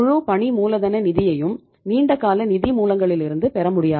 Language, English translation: Tamil, You cannot afford to have total working capital finance from long term sources